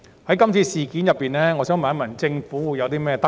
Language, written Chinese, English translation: Cantonese, 在今次事件中，我想問政府有何得着？, May I ask the Government the lesson it has learnt in this incident?